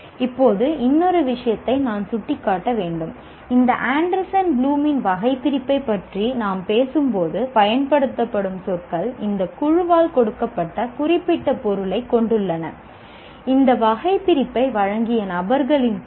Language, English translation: Tamil, Now one more thing I should point out that when we are talking about this Anderson Blooms taxonomy, the words that are used have very specific meaning given by this group, group of people who have provided this taxonomy